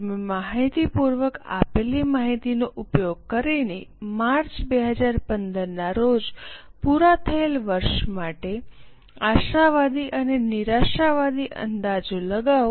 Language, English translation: Gujarati, Using the information given, kindly make projections both optimistic and pessimistic for year ended March 2015